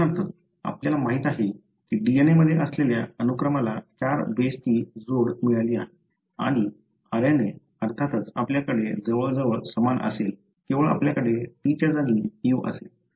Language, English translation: Marathi, For example, what we know is that, the sequence that is present in DNA has got the combination of the 4 bases and RNA of course you would have almost same, except that you would have, U in place of T